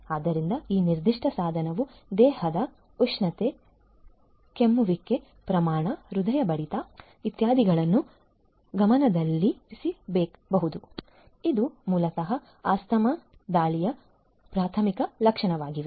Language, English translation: Kannada, So, this particular device can keep track of the body temperature, coughing rate, heart rate etcetera which are basically you know preliminary symptoms of an asthma attack